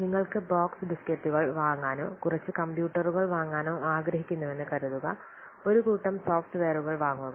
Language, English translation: Malayalam, Suppose you want to purchase a box of this case or purchase a number of computers purchase what a set of software